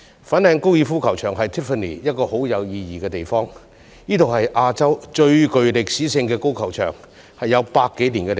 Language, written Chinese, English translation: Cantonese, 粉嶺高爾夫球場對 Tiffany 很有意義，亦是亞洲最具歷史的高爾夫球場，已有100多年歷史。, The over a century - old Fanling Golf Course which is the oldest of its kind in Asia is of great meaning to Tiffany